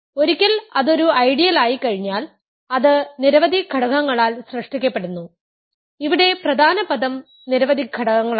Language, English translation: Malayalam, Once it is an ideal, it is generated by finitely many elements, the key word here is finitely many elements